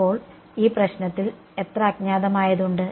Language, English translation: Malayalam, So, how many unknowns are in this problem